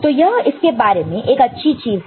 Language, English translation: Hindi, That is the good thing about it